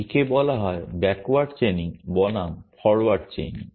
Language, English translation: Bengali, It is called backward chaining versus forward chaining